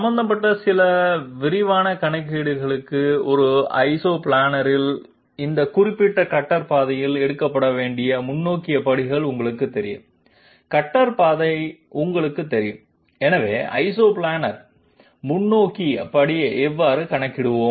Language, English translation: Tamil, For some quick calculations involving you know the forward steps to be taken along this particular cutter path on an Isoplanar you know cutter path, so how would we calculate the Isoplanar forward step